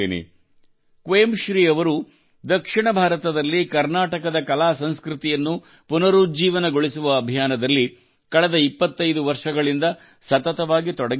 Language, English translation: Kannada, In the South, 'Quemshree' has been continuously engaged for the last 25 years in the mission of reviving the artculture of Karnataka